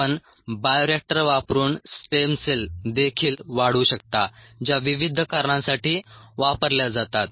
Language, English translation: Marathi, you could also grow stem cells, which are used for a variety of a purposes using bioreactors